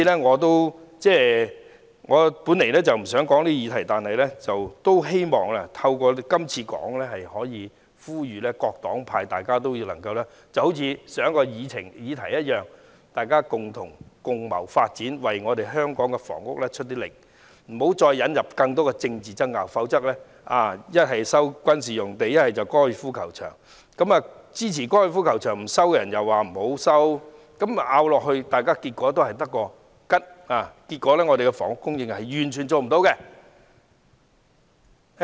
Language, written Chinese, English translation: Cantonese, 我本來不想就此議題發言，但希望透過今次的發言，呼籲各黨派好像上一項議題般，共謀發展，為香港的房屋努力，不要再引入更多政治爭拗，其一是收回軍事用地，還有收回高爾夫球場，有些人又不支持收回高爾夫球場，爭拗下去的結果只會是一場空，最後完全做不到房屋供應。, But I hope that my speech can call on Members of different parties and groups to find a way forward together for the housing in Hong Kong just like what we did in the previous motion . We should not introduce any more political arguments like resuming military sites or golf courses . These options do not have the support of all people